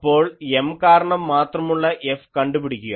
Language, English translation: Malayalam, Then, find F due to M only